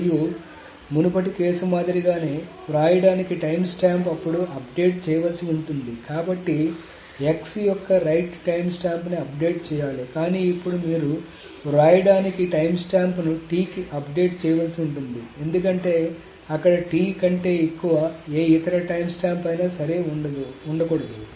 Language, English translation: Telugu, So right is granted and similar to the previous case the right timestamp may now need to be updated so the right timestamp of x is needs to be updated but now you see that the right timestamp is just needs to be updated to T because there cannot be any other right time time time which is greater than T